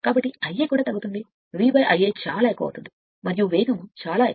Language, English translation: Telugu, So, I a also will be decreased right therefore, V by I a is very large and is and speed is very high right